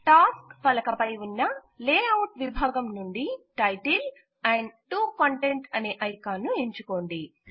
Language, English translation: Telugu, From the Layout section on the Tasks pane, select Title and 2 Content icon